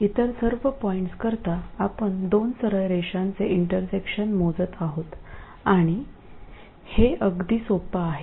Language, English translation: Marathi, For all other points we are computing intersection of two straight lines and this is very easy